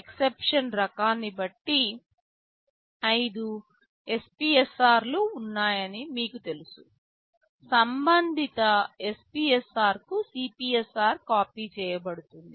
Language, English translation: Telugu, You know there are 5 SPSRs depending on the type of exception CPSR will be copied to the corresponding SPSR